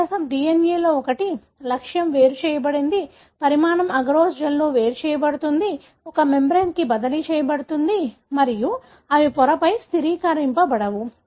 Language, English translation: Telugu, The difference is one of the DNA, the target is separated, size separated in agarose gel, transferred to a membrane and they are immobilised on a membrane